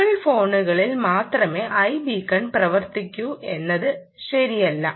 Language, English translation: Malayalam, it isnt true that i beacon works only on apple phones